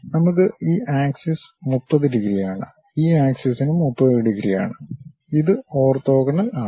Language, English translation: Malayalam, We have this axis is 30 degrees, this axis is also 30 degrees and this is orthogonal